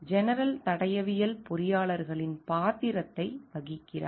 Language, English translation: Tamil, The general play the role of forensic engineers